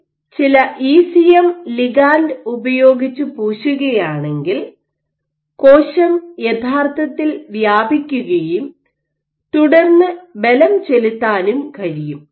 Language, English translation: Malayalam, So, the top if you had coated it with some ECM ligand then the cell can actually spread and then exert